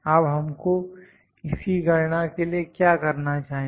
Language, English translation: Hindi, Now, what we need to do to calculate these